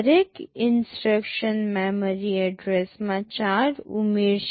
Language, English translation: Gujarati, Each instruction will be adding 4 to the memory address